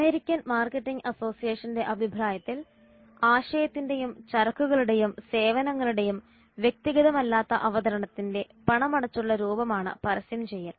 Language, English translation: Malayalam, According to the American Marketing Association AMA advertising is the paid form of non personal presentation of ideas, goods and services